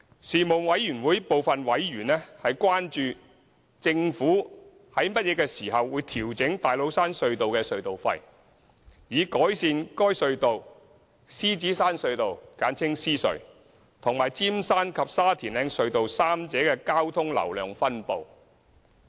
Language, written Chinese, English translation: Cantonese, 事務委員會部分委員關注，政府會於何時調整大老山隧道的隧道費，以改善該隧道、獅子山隧道和尖山及沙田嶺隧道三者的交通流量分布。, Some Panel members were concerned about the time frame within which the Government would adjust the toll level of TCT to achieve a better traffic distribution among TCT the Lion Rock Tunnel LRT and the Eagles Nest Tunnel and Sha Tin Heights Tunnel Route 8K